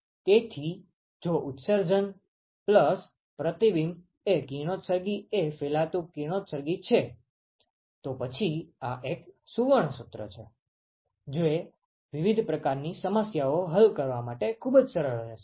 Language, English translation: Gujarati, So, if the emission plus reflection the radiosity is the diffuse radiosity, then this is a golden formula that will be very very handy to solve different kinds of problems